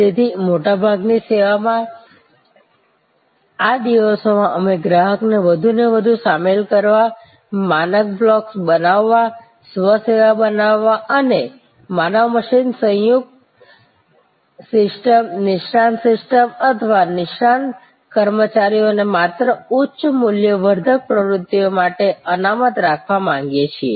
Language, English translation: Gujarati, So, in most services, these days we would like to involve the customer more and more, create standard blocks, create self service and reserve the human machine composite system, expert system and expert personnel only for higher value adding activities